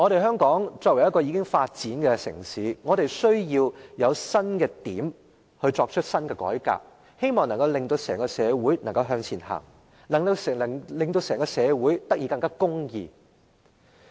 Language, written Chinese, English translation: Cantonese, 香港是一個已發展的城市，我們需要有新的改革帶領社會向前走，令社會變得更公義。, Hong Kong is a developed city and we need new reforms to lead us forward and turn ourselves into a society with more justice